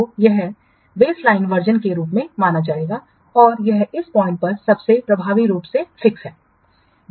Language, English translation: Hindi, So, this will be treated at the baseline version and this is almost effectively frozen at this point